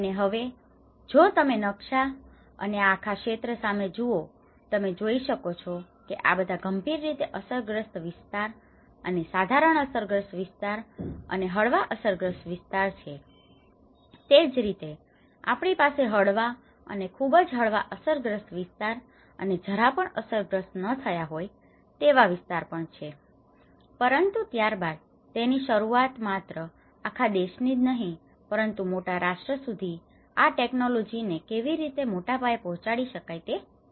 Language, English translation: Gujarati, And now, if you look at the map and this whole region what you can see is, these are all the severely affected areas and the moderately affected areas and the mild affected areas and similarly, we have the mild affected and very mild affected and not affected the safe sites as well but then it started with it is not just the whole country but then the challenge is how to defuse this technology to a larger set up to a larger the whole nation